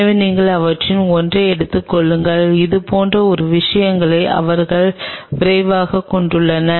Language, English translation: Tamil, So, you just take one of them and it something like this they have a quick